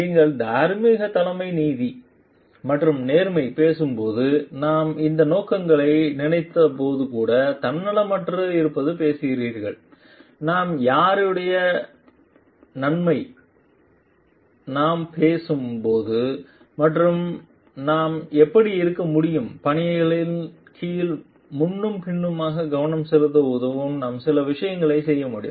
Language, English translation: Tamil, When you are talking of justice and fairness in the moral leadership and we are talking of being selfless also while you are thinking of these objectives will help us to focus on forth under beneficiaries for whose beneficial benefit are we talking of and how we can be how we can do certain things